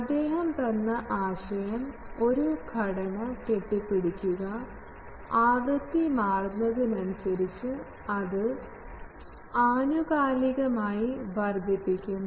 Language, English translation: Malayalam, His concept was that build a structure that can scales itself up periodically, as the frequency gets changed